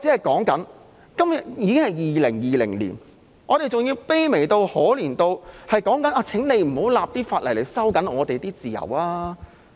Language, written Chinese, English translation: Cantonese, 今天已經是2020年，我們還要卑微、可憐到要求政府不要立法來收緊我們的自由。, It is already 2020 but we still have to be so pathetic as to ask the Government to stop enacting legislation to restrict our freedoms